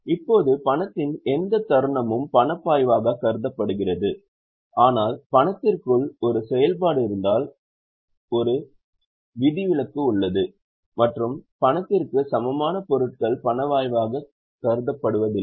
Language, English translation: Tamil, Now, any moment of cash is considered as a cash flow but there is an exception if there is a moment within cash and cash equivalent items don't consider them as cash flow